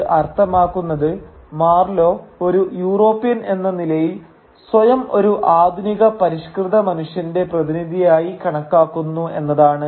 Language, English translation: Malayalam, And what this means is that Marlow as a European considers himself to be the representative of the modern civilised man